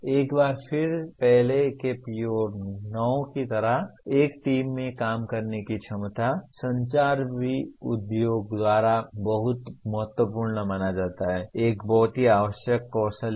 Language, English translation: Hindi, Once again like the earlier PO9, ability to work in a team, communication is also considered very very crucial by industry, is a very essential skill